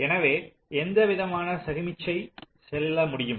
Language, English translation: Tamil, so what kind of signal can go through